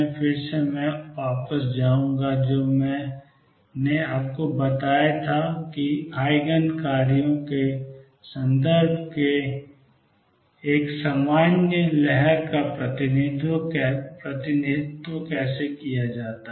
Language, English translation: Hindi, Again I will go back to what I told you about how to represent a general wave in terms of eigen functions